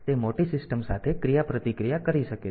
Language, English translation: Gujarati, So, it may be interacting with the bigger system